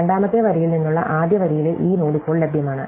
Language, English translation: Malayalam, We can see, that this node in the first row from the second row is now available